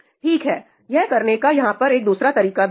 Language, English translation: Hindi, Okay, here is another way to do this